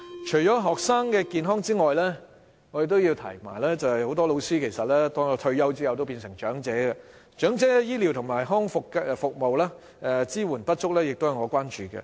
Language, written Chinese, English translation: Cantonese, 除了學生健康外，很多老師退休後都會變成長者，長者的醫療及康復服務支援不足，也是我所關注的。, Apart from students health I am also concerned about the health of teachers . When they grow old and retire they will become elderly people . Insufficient health care and rehabilitation services for elderly people are also my concern